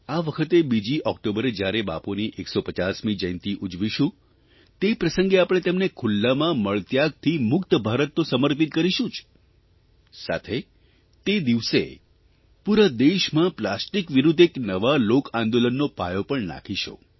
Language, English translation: Gujarati, This year, on the 2nd of October, when we celebrate Bapu's 150th birth anniversary, we shall not only dedicate to him an India that is Open Defecation Free, but also shall lay the foundation of a new revolution against plastic, by people themselves, throughout the country